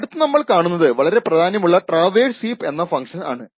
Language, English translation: Malayalam, The next we will see is a very important function known as the traverse heap function